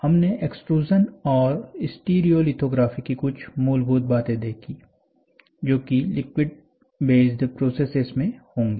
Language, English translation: Hindi, So, extrusion is one process and stereolithography, we saw some basics that will be unliquid based processes